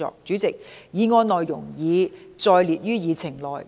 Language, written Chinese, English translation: Cantonese, 主席，議案內容已載列於議程內。, President the content of the motion is set out in the Agenda